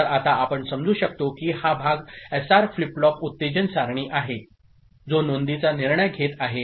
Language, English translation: Marathi, So, we can now understand that this part is the SR flip flop excitation table, which is deciding the entries right